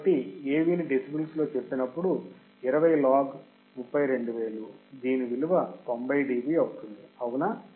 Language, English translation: Telugu, So, AV in decibel 20 log 32,000 there will be 90 dB right